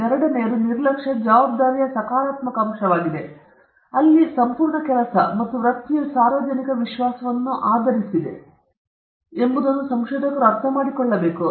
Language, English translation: Kannada, The second one is the positive aspect of responsibility where researchers should understand that their entire work and career is based upon public trust